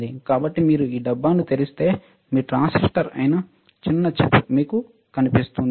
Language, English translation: Telugu, So if you open this can, you will find a small chip which is your transistor